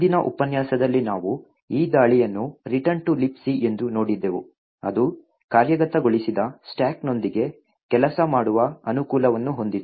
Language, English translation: Kannada, In the previous lecture we had looked at this attack call return to libc which had the advantage that it could work with a non executable stack